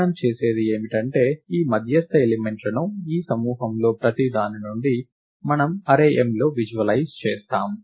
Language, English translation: Telugu, What we do is, we visualize these median elements from each of these groups in an array m